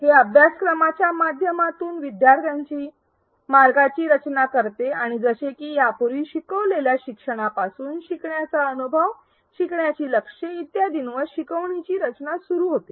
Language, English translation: Marathi, It structures the students path through the course and again like it was emphasized earlier instructional design begins with the learner, the learning experience, the learning goals and so on